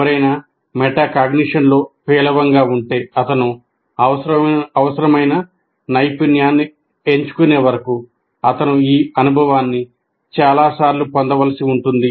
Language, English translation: Telugu, But if somebody is poor in metacognition, he needs to undergo this experience several times until he picks up the required skill